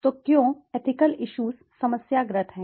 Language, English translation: Hindi, So, why are ethical issues problematic